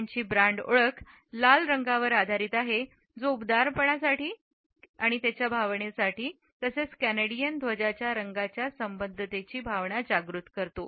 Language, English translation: Marathi, Its brand identity is based on red which evokes feelings of warmth as well as its associations with the colors of the Canadian flag